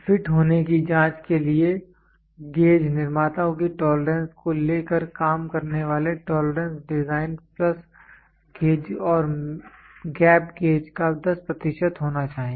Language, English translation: Hindi, Take taking gauge makers tolerance to be 10 percent of the working tolerance design plus gauge and gap gauge to check the fit